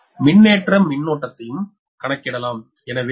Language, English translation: Tamil, so this is how to calculate the charging current right now